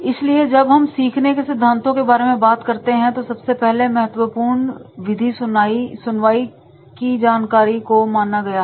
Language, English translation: Hindi, So, when we talk about the learning theories, learning methods and therefore the first and foremost method is that is the hearing information